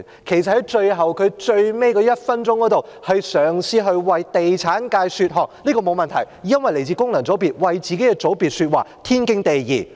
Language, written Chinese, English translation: Cantonese, 其實，他在最後1分鐘嘗試為地產界說項，這樣沒有問題，因為他來自功能界別，為自己的界別說話，是天經地義的。, In fact at the last minute he tried to put in a good word for the real estate sector . That is fine as he is from a functional constituency and it is only natural that he speaks in favour of his own constituency